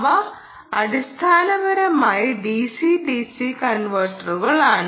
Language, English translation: Malayalam, they are basically d c d c converters